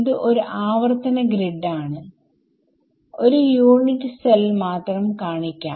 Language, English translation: Malayalam, So, it is a repeating grid I am just showing one unit cell ok